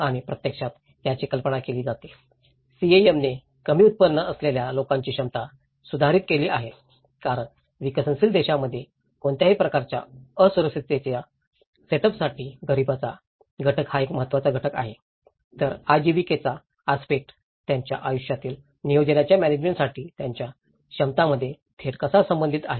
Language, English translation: Marathi, And it actually envisages; CAM envisages improved capacity of low income communities because in developing countries, the poverty aspect is one of the holding factor for any kind of vulnerability setup so, how the livelihood aspect is directly related to the access to their capacities for the management of lifecycle planning so, it is not about only we are dealing with the situation itself, we have to look at how the continuity works out in a lifecycle planning approach